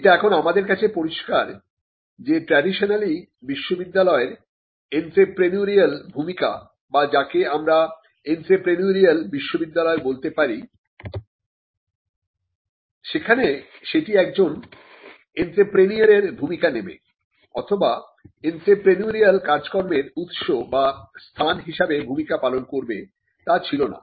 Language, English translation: Bengali, The Entrepreneurial University; universities traditionally started with certain functions and it is clear for us to understand that the entrepreneurial function of a university or what we call an entrepreneurial university by which we mean university discharging the role of an entrepreneur or the university becoming a source or a ground for entrepreneurial activity was not traditionally there